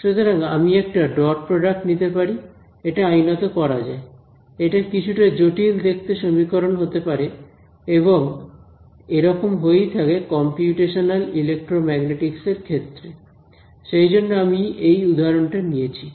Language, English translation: Bengali, So, I can take a dot product it is a legal thing to do, it may be a slightly complicated looking expression and this does happen during computational electromagnetics which is why I have taken this example